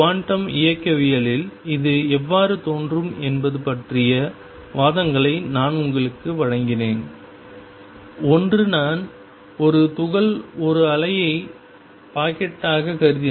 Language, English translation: Tamil, And then I gave you arguments about how it appears in quantum mechanics, one was that if I consider a particle as a wave packet